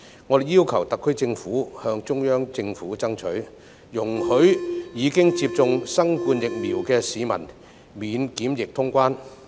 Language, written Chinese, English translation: Cantonese, 我們要求特區政府向中央政府爭取，容許已接種新冠疫苗的市民免檢疫通關。, We urge the SAR Government to strive for the Central Governments pledge to allow people who have been vaccinated against COVID - 19 to cross the border without being subject to quarantine